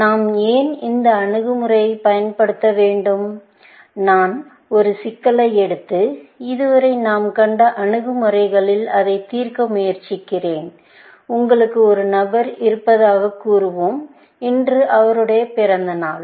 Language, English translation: Tamil, To motivate, why we should use this approach, let me try and take up a problem and solve it in the approaches that we have seen so far, and let us say that you have a friend, whose birthday it is